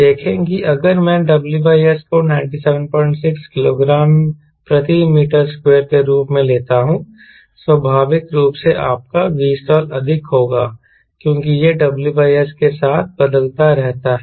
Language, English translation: Hindi, see if i take w by s as ninety seven point six kg per meter square, we naturally v stall will be more because it where is w by s